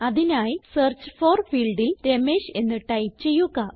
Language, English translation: Malayalam, So type Ramesh in the Search For field